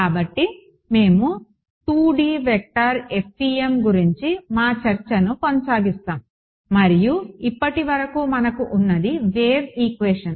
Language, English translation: Telugu, So, we will continue with our discussion of 2D vector FEM and what we have so far is the wave equation right